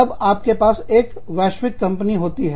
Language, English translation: Hindi, Then, you have a global firm